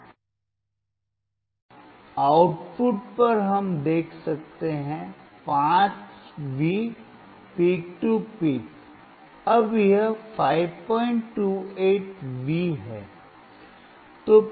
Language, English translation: Hindi, And at the output we can see, 5V peak to peak , now it is 5